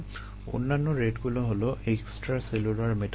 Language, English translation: Bengali, ok, the other rates are intracellular metabolite